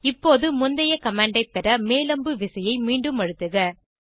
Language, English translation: Tamil, Now press up arrow key again to get the previous command